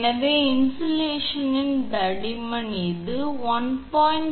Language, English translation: Tamil, So, insulation thickness is 1